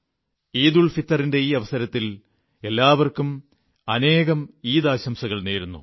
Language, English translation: Malayalam, On the occasion of EidulFitr, my heartiest greetings to one and all